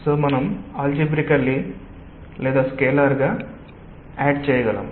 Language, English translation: Telugu, so we cannot just algebraically or scalarly add